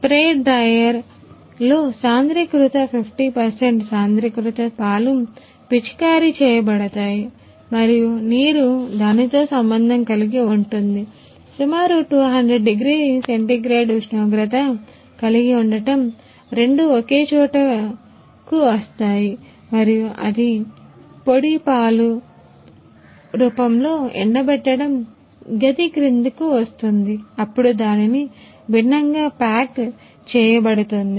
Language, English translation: Telugu, In a spray drier concentrated 50 percent concentrated milk is sprayed and water is coming in a contact with it is having a around 200 degree centigrade temperature both are coming in a contact and it comes under the drying chamber in a form of powder milk powder, then it is packed into the different type of packing